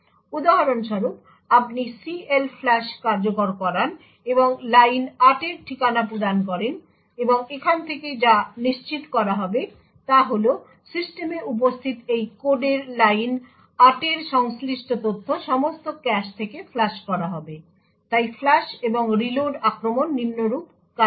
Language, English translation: Bengali, So for example, you execute CLFLUSH and provide the address of the line 8, and what would be guaranteed from here is that the line 8 all the data corresponding to line 8 in this code would be flushed from all the caches present in the system, so the flush and reload attack works as follows